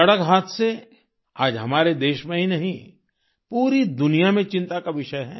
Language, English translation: Hindi, Road accidents are a matter of concern not just in our country but also the world over